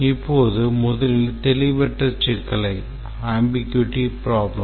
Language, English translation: Tamil, Now first let's look at the ambiguity problem